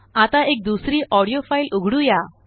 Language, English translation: Marathi, Now, lets open another audio file